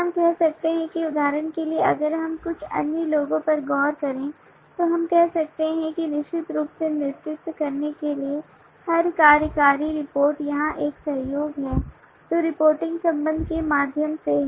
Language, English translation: Hindi, we can say that for example if we look into some others then we can say that every executive reports to lead certainly there is a collaboration here which is through the reporting relationship the responsibility